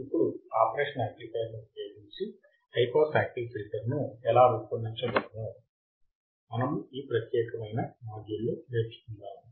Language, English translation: Telugu, So, welcome to this module and in this particular module, we will see how the high pass filter can be designed using the operational amplifier